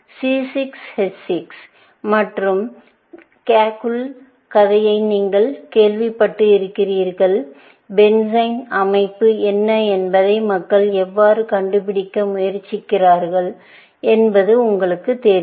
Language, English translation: Tamil, C 6 H 6, and you must have heard the story of Kekule, and you know how people were trying to figure out, what is the structure of benzene